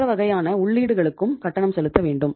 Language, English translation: Tamil, We have to pay for the other kind of inputs